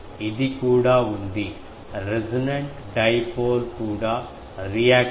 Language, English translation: Telugu, It also has, resonant dipole also have reactive part 42